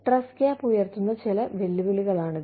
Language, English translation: Malayalam, Some challenges, that are posed by the trust gap